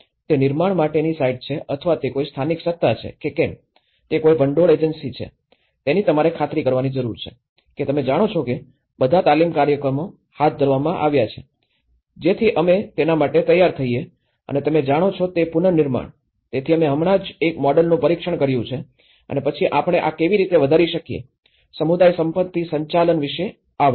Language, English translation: Gujarati, Whether, it is a site to be constructed or whether it is a local authority, whether it is a funding agency, you need to make sure that you know, that all the training programs have been conducted, so that we are ready to go for the rebuilding you know, so we have just tested one model and then how we can scale this up so, this is how the community asset management talks about